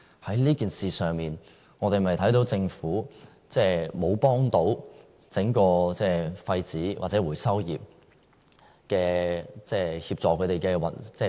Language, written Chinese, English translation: Cantonese, 在這件事上，我們有否看到政府並沒有協助廢紙或回收業運作？, We can see from this incident that the Government has indeed done nothing to assist in the operation of the waste paper industry or other recycling industries